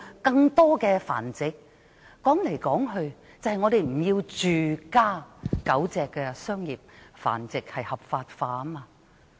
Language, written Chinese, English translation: Cantonese, 歸根究底，我們就是不要住家狗隻商業繁殖合法化。, After all we do not want to see the legalization of commercial dog breeding at home